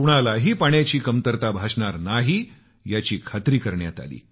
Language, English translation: Marathi, He ensured that not a single person would face a problem on account of water